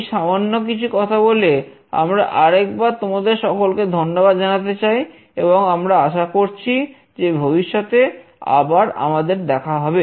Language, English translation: Bengali, So, with these few words, we thank you once again, and we hope to see you again in the future